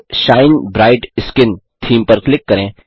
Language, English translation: Hindi, The Shine Bright Skin theme page appears